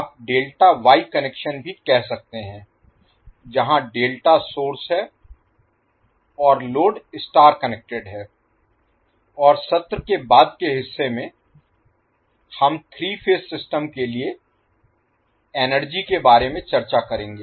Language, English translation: Hindi, You can also say Delta Wye connection where delta is the source and the star connected is the load and also in the later part of the session, we will discuss about the energy for a three phased system